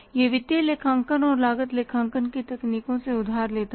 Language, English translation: Hindi, It borrows the techniques of financial accounting and the cost accounting